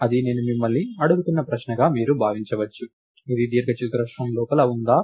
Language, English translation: Telugu, So, you can think of it as a question I am asking you, is this point inside the rectangle